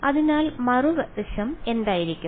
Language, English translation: Malayalam, So, the other side will be what